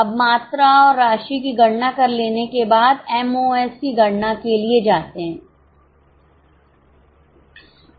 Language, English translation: Hindi, Now having calculated quantity and amount, go for calculation of MOS